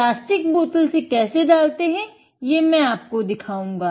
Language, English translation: Hindi, First, I will show you how to pour from a plastic bottle